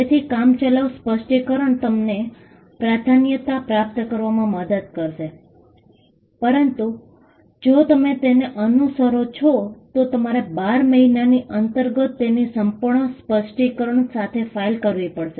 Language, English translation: Gujarati, So, the provisional specification will get you the priority, but provided you follow it up by filing a complete specification within 12 months